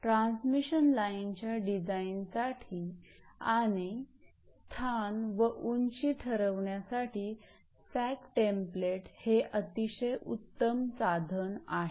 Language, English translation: Marathi, So, sag template is a convenient device use in the design of a transmission line to determine the location and height of the structure